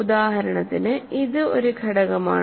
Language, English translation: Malayalam, For example this is an element ok